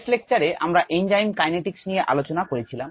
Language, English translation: Bengali, in the last lecture we had looked at enzyme kinetics